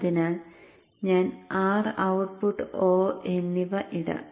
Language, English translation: Malayalam, So let me plot R and output open